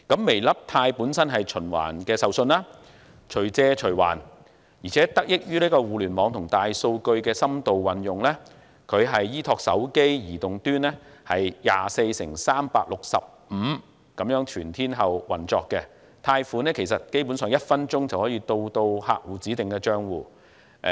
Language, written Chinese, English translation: Cantonese, "微粒貸"本身是循環授信、隨借隨還業務，而且得益於互聯網和大數據的深度運用，它依託手機移動端 24x365 全天候業務運作，基本上，貸款在1分鐘內就可以到達客戶指定帳戶。, Weilidai itself is a kind of revolving loan facility allowing flexible drawdown and repayment . Thanks to the in - depth use of the Internet and big data it piggybacks on mobile device terminals for a 24x365 all - weather business operation . Basically a loan can reach the account designated by a client in one minute